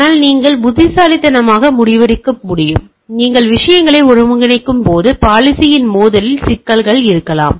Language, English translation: Tamil, But when you piece wise decide, when you integrate the things, there may be a problem in the conflict of the policy